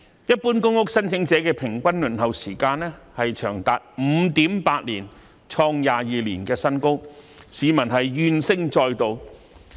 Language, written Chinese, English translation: Cantonese, 一般公屋申請者的平均輪候時間長達 5.8 年，創22年新高，市民怨聲載道。, With the average waiting time of general public housing applicants reaching 5.8 years hitting a record high in 22 years complaints were heard everywhere